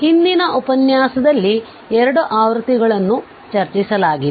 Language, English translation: Kannada, So, there were 2 versions discussed in previous lecture